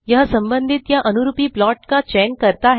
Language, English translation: Hindi, This selects the corresponding plot